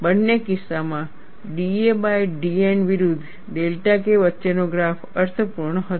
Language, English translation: Gujarati, In both the cases, the graph between d a by d N versus delta K was meaningful